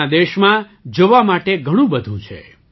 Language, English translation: Gujarati, There is a lot to see in our country